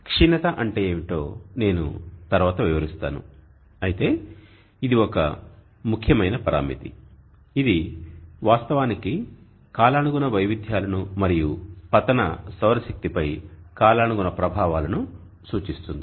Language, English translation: Telugu, I will explain later what declination is but this is an important parameter this actually represents the seasonal variations and the seasonal effects on the incident solar energy